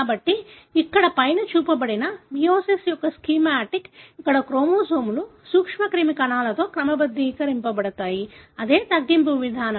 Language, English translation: Telugu, So, what is shown here on the top is a schematic of the meiosis, where the chromosomes are sorted into the germ cells, a reductional division